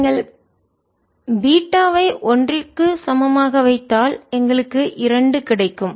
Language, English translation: Tamil, and if you put beta is equal to one will get two